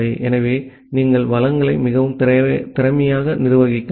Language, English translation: Tamil, So, you can possibly manage resources more efficiently